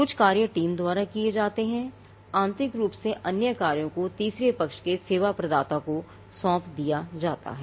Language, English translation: Hindi, Some functions are done by the team, there internally other functions are delegated to a third party service provider